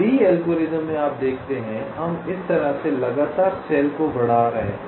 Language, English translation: Hindi, you see, in a lees algorithm we are numbering the cells consecutively like this